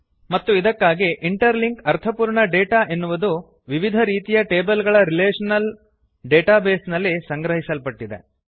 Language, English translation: Kannada, And, this is how we establish relationships And therefore interlink meaningful data stored in various tables in the relational database